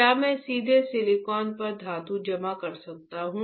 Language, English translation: Hindi, Can I deposit a metal directly on silicon